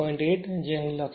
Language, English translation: Gujarati, 8 that that is written here right